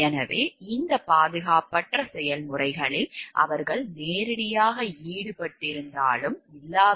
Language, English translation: Tamil, So, whether or not they are directly involved in this unsafe processes